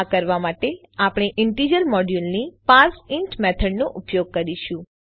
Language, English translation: Gujarati, To do this we use the parseInt method of the integer module